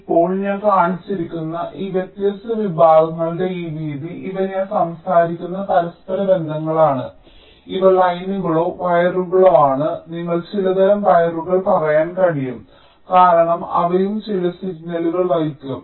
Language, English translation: Malayalam, these are the interconnects i am talking, these are the lines or wires you can say some kind of wires, because they will be carrying some signals